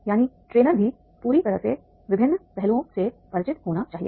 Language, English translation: Hindi, That is a trainer must also be fully familiar with various aspects